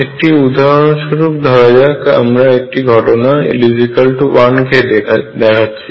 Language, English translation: Bengali, As an illustration let us also take a case of l equals 1